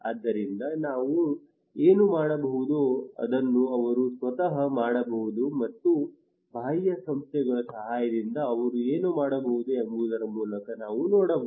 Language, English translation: Kannada, So that we can do through what we can what they can do by themselves and what they can do with the help of external agencies with lot of actors are involved